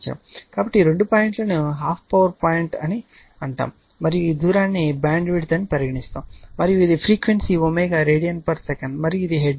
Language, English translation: Telugu, So, this two point call half power point and the and this distance which we call bandwidth right, and this is if it is omega radian per second if it is frequency then it will be in hertz, so